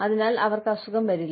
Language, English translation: Malayalam, And, they will not fall sick